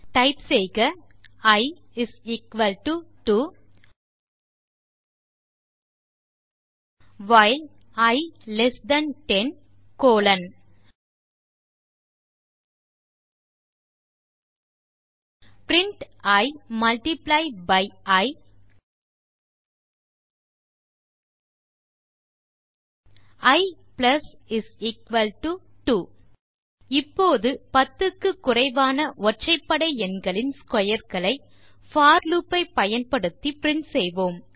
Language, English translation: Tamil, Type i = 2 while i less than 10 colon print i multiply by i i += 2 Let us now solve the same problem of printing the squares of all odd numbers less than 10, using the for loop